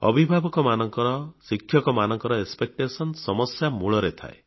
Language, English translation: Odia, Expectation on the part of parents and teachers is the root cause of the problem